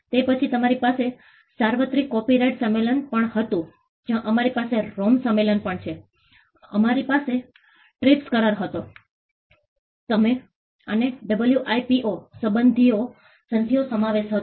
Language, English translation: Gujarati, Then we had the universal copyright convention we also have the ROME convention, we had the TRIPS agreement, and a host of WIPO treaties